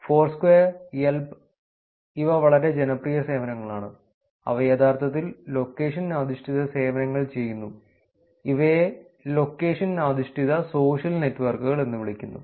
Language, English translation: Malayalam, Foursquare, Yelp, these are very, very popular services which actually do location based services, these are called location based social networks